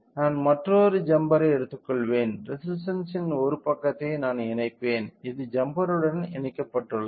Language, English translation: Tamil, I will take another jumper I will connect one side of the resistor which is which are you know connected to the jumpers